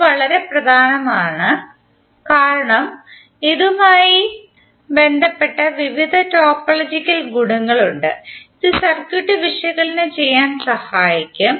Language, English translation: Malayalam, So this is very important because we have various topological properties associated with it which will help us to analyze the circuit